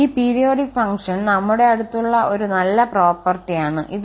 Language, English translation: Malayalam, This is a nice property we have for this periodic function